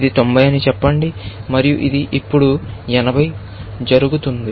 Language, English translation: Telugu, Let us say this happens to be 90, and this happens to be now, 80